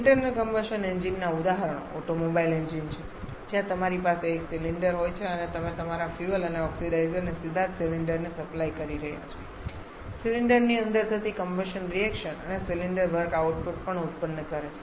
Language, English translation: Gujarati, Examples of internal combustion engines are automobile engines where you have one cylinder and you are directly supplying your fuel and oxidizer to the cylinder combustion reactions happening inside the cylinder